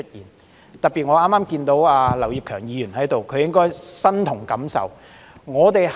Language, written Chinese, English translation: Cantonese, 我剛才特別看到劉業強議員在席，他應該身同感受。, Just now I have noticed particularly that Mr Kenneth LAU is here . I think he should feel the same way